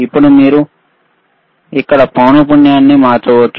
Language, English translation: Telugu, Now, you can you can change the frequency here